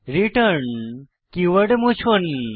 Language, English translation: Bengali, Delete the keyword return